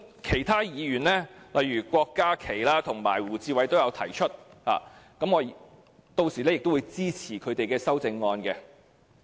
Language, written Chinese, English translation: Cantonese, 其他議員如郭家麒議員及胡志偉議員也提出同樣的修正案，我屆時會支持他們的修正案。, Other Members such as Dr KWOK Ka - ki and Mr WU Chi - wai have also proposed similar amendments and I will support them